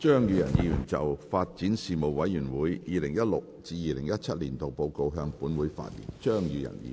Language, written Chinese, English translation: Cantonese, 張宇人議員就"發展事務委員會 2016-2017 年度報告"向本會發言。, Mr Tommy CHEUNG will address the Council on the Report of the Panel on Development 2016 - 2017